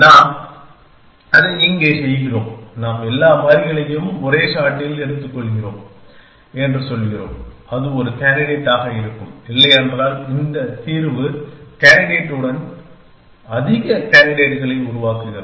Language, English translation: Tamil, We are doing that here, we are saying that we take all the variables at one shot takes that as a candidates and if it not the solution will do something with this candidate to generate more candidates